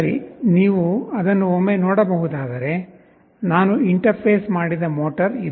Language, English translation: Kannada, Well, if you can see it once, this is the motor that I have interfaced